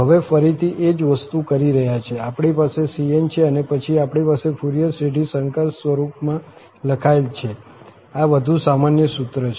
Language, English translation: Gujarati, So, the same thing now, we have the cn, this is more the general formula and then we have the Fourier series written in this complex form